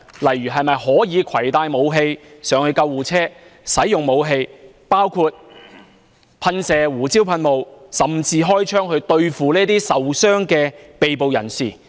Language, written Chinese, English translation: Cantonese, 例如可否攜帶武器登上救護車，以及使用武器，包括噴射胡椒噴霧，甚至開槍，對付受傷的被捕人士？, For example can they carry weapons on board an ambulance and use the weapons against an injured person under arrest including spraying pepper spray and even firing shots?